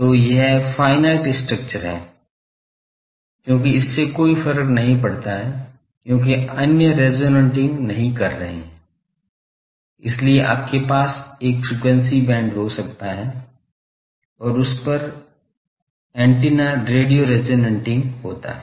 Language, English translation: Hindi, So, this is the finite structure, because it does not matter, because others are not resonating, so that is why you can have a frequency band and over that there is antenna is radio resonating